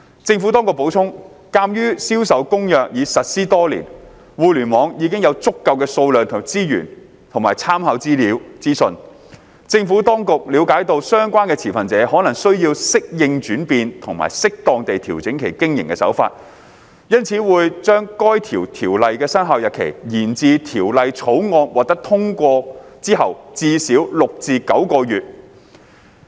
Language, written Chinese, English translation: Cantonese, 政府當局補充，鑒於《銷售公約》已實施多年，互聯網已有足夠數量的資源和參考資訊，政府當局了解到相關持份者可能需時適應轉變及適當地調整其經營手法，因此會將該條例的生效日期，延至《條例草案》獲通過之後至少6至9個月。, The Administration added that given that CISG had been implemented for many years there was already a sufficient amount of resources and reference information available on the Internet . Recognizing that it might take time for the relevant stakeholders to adapt to the changes and adjust their business practices as appropriate the Administration would defer the commencement of the implementing Ordinance until at least six to nine months after its passage